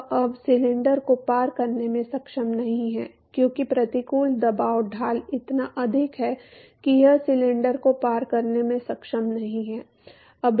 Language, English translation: Hindi, It is not able to move past the cylinder anymore because the adverse pressure gradient is so much that it is not able to manage to move past the cylinder